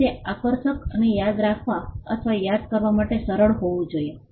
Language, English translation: Gujarati, And it should be appealing and easy to remember or recollect